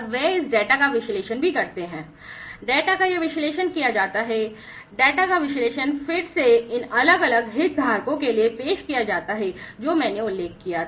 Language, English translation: Hindi, And they this data are also analyzed and this analysis of the data is done, and that analyze data is again offered to these different stakeholders that I just mentioned